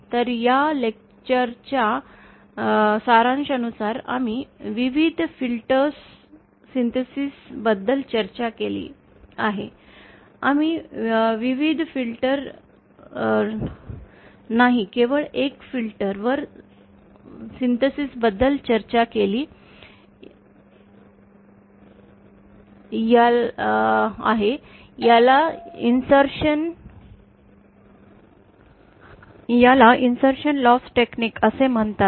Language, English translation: Marathi, So, in summary in this lecture we have discussed the various filters synthesis, we discuss not various filter only single filter synthesis technique